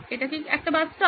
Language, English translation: Bengali, Is this a bus stop